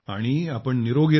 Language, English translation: Marathi, And you stay healthy